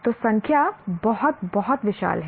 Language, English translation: Hindi, So the numbers are very, very, very huge